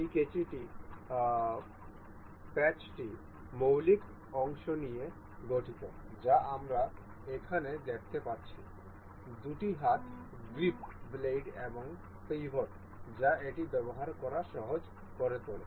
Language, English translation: Bengali, This scissor consists of five fundamental parts that we can see here consists of two hand grips, the blades and the pivot that makes it easier to use